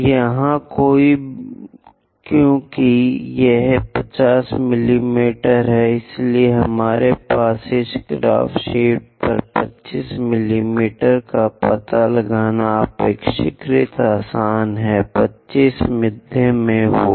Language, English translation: Hindi, So, here because this is a 50 mm, so it is quite easy to locate 25 mm on this graph sheet for us, 25 will be at middle